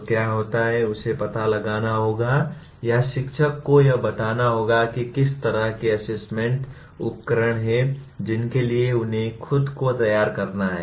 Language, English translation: Hindi, So what happens, he has to find out or the teacher has to tell him what kind of assessment tools towards which they have to prepare themselves